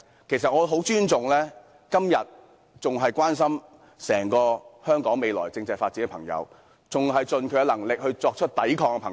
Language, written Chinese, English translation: Cantonese, 其實，我很尊重今天仍然關心香港未來政制發展的人，以及仍然盡力作出抵抗的人。, In fact I very much respect people who are still concerned about the future constitutional development of Hong Kong and those who are still trying their best to resist